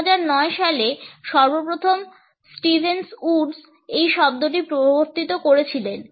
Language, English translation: Bengali, The phrase was first all introduced by Stevens Woods in 2009